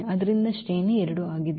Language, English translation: Kannada, So, the rank is 2